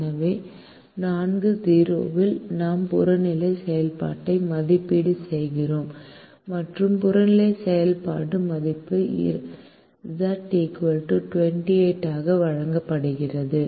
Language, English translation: Tamil, so at four comma zero we evaluate the objective function and the objective function value is given, as z is equal to twenty eight